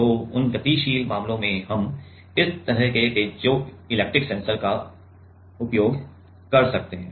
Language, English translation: Hindi, So, in those dynamic cases we can use this kind piezoelectric sensing